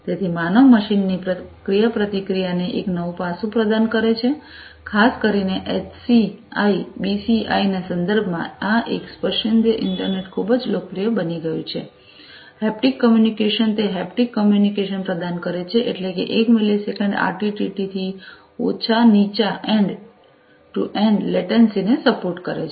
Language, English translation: Gujarati, So, provides a new facet to human machine interaction, particularly in the context of HCI, BCI, etcetera this a tactile internet has become very popular, haptic communication it provides haptic communication enable meant supports low end to end latency of less than 1 millisecond RTT